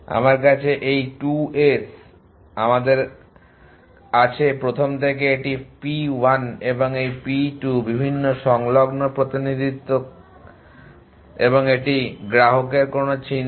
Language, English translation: Bengali, I have this to 2 us in the in the first to this is p 1 and this p 2 the different adjacency representation work and of a customer of at any think of